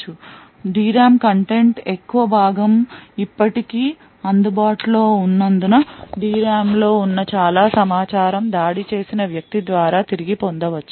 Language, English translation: Telugu, Since a large portion of the D RAM content is still available a lot of information present in the D RAM can be retrieved by the attacker